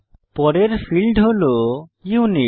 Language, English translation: Bengali, Next field is Unit